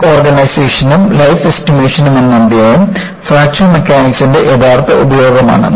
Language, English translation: Malayalam, The chapter on Crack Initiation and Life Estimation is the real utility of Fracture Mechanics